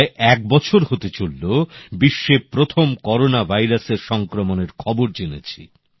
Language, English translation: Bengali, It has been roughly one year since the world came to know of the first case of Corona